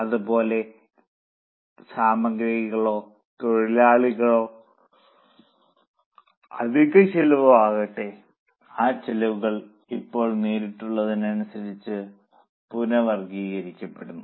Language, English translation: Malayalam, Like that, whether it is material or labor or overheads, those costs now are being reclassified as per directness